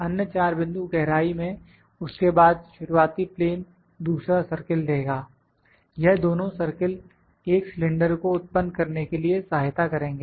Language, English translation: Hindi, Another 4 points at it will depth than the initial plane would give the second circle, these two circles would help us to generate a cylinder